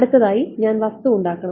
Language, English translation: Malayalam, Next I have to make the object